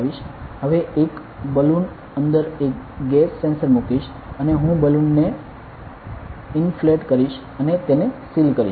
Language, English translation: Gujarati, So, will put the gas sensor inside a balloon inside balloon over here ok and I will inflate the balloon and seal it ok